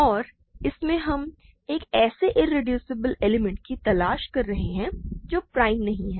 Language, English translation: Hindi, And in this we are trying to look for an irreducible element which is not prime